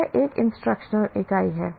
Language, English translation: Hindi, That becomes, that is an instructional unit